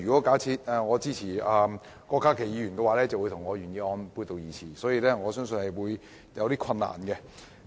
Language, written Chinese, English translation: Cantonese, 假如我支持郭家麒議員的修正案，便會與我的原議案背道而馳，所以我相信這方面會有些困難。, If I support Dr KWOK Ka - kis amendment I will be departing from the direction of my original motion . I believe this will be difficult